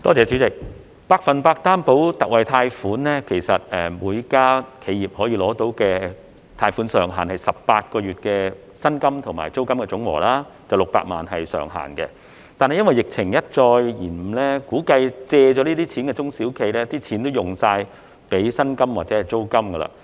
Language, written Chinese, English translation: Cantonese, 主席，就百分百擔保特惠貸款而言，其實每家企業可以申請到的貸款上限是18個月的薪金和租金總和，不超過600萬元，但由於疫情一再拖延，估計借了這些錢的中小企已將貸款全用作薪金或租金。, President as far the Special 100 % Loan Guarantee is concerned actually the maximum loan amount for each enterprise is the total amount of employee wages and rents for 18 months or 6 million whichever is the lower; however as the epidemic drags on it is surmised that those SMEs who have taken such loans have used them up for wages or rents